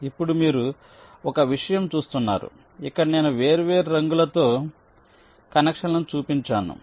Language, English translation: Telugu, now one thing: you see that here i have shown the connections by different colors